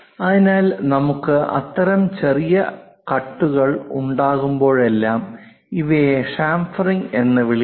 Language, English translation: Malayalam, So, whenever we have that kind of small cuts, we call these are chamfering